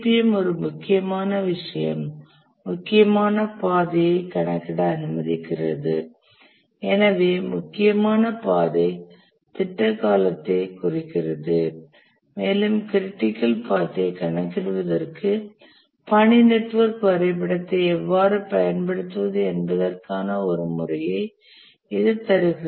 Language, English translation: Tamil, And one important thing of CPM that it allowed to compute the critical path and therefore the critical path indicates the project duration and it gave a method how to use the task network diagram to compute the critical path